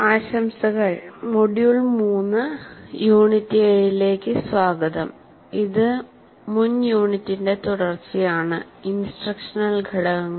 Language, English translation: Malayalam, Greetings and welcome to module 3, unit 7, which is actually continuation of the previous unit where we were talking about instructional components